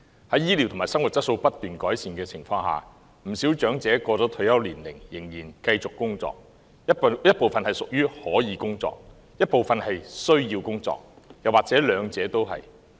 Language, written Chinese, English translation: Cantonese, 在醫療及生活質素不斷改善的情況下，不少長者過了退休年齡仍然繼續工作，一部分是屬於可以工作的，一部分是需要工作，又或者兩者都是。, With constant improvements in health care and the quality of life quite a number of elderly people will continue to work after reaching the retirement age . Some of them can be categorized as being able to work while others need to work or they may belong to both categories